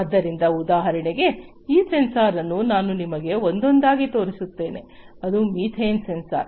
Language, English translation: Kannada, So, for example, for instance, this sensor I will show you one by one, this is the methane sensor